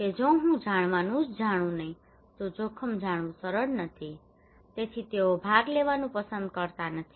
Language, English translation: Gujarati, That if I do not know only knowing the risk is not easy, so they prefer not to participate